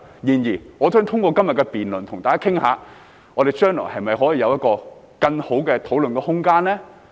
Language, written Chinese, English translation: Cantonese, 然而，我想透過今天的辯論跟大家討論，我們將來可否有一個更好的討論空間呢？, Nevertheless through todays debate I would like to discuss with Members whether we can have a more favourable environment for discussion in the future